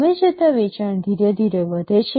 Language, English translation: Gujarati, The sale increases slowly over time